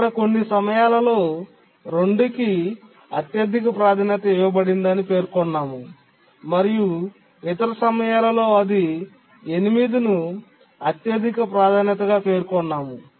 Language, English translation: Telugu, But one thing I need to clarify is that sometimes saying that 2 is the highest priority and at some other time we are using 8 as the highest priority